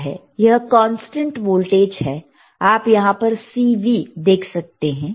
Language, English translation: Hindi, It is constant voltage, you see CV there is here